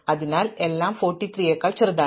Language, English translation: Malayalam, So, that everything smaller than 43